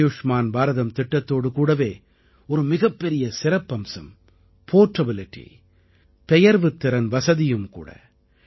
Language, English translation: Tamil, An important feature with the 'Ayushman Bharat' scheme is its portability facility